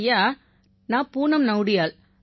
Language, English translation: Tamil, Sir, I am Poonam Nautiyal